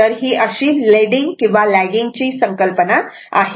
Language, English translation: Marathi, So, this is the concept for leading or lagging right